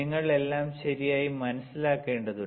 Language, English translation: Malayalam, This everything you need to understand all right